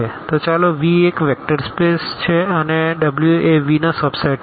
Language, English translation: Gujarati, So, let V be a vector space and let W be a subset of V